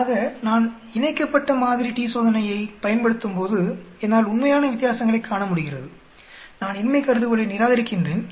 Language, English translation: Tamil, So when I use a paired sample t Test, I am able to see the real differences, I am rejecting the null hypothesis